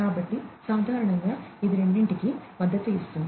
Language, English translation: Telugu, So, typically it will support both